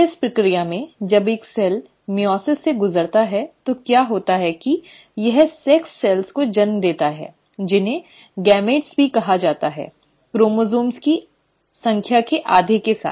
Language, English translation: Hindi, In this process, when a cell undergoes meiosis, what happens is that it gives rise to sex cells, which are also called as gametes with half the number of chromosomes